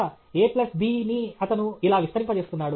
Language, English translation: Telugu, a plus b, a plus b, he is expanding that okay